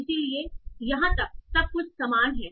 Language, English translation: Hindi, So, so till here everything is same